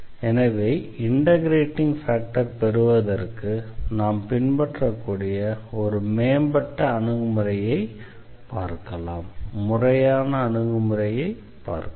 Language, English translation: Tamil, So, here we have a more or rather systematic approach which we can follow to get the integrating factors